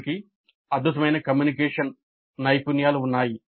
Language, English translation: Telugu, The instructor had excellent communication skills